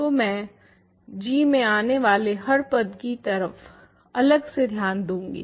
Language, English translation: Hindi, So, I am going to separately look at each term that appears in g